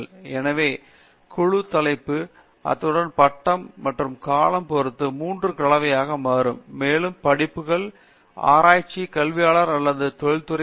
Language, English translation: Tamil, So depending on the group the topic that you do, as well as depending on the time when you graduate the mix of these 3 vary; further studies, further research, academic position or industrial R and D